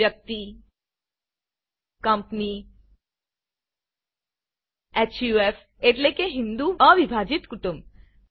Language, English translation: Gujarati, Person Company HUF i.e Hindu Un divided Family